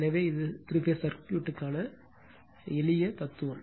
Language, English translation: Tamil, So, this is the simple philosophy for three phase circuit